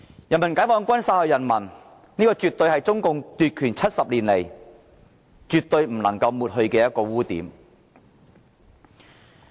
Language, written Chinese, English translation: Cantonese, 人民解放軍殺害人民，絕對是中共奪取政權70年來不能抹去的污點。, The fact that PLA killed people is definitely an unremovable blemish over the 70 years after CPC had seized power